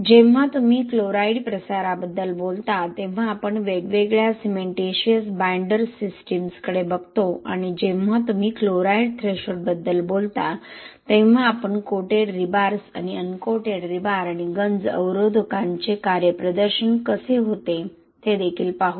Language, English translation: Marathi, When you talk about chloride diffusion we look at different cementitious binder systems and also when you talk about chloride threshold we will look at how the coated rebars and uncoated rebars and the performance of corrosion inhibitors also